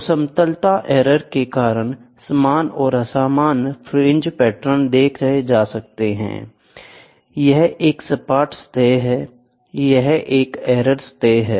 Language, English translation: Hindi, So, equal and unequal fringe patterns due to flatness error, this is a flat surface, this is an error surface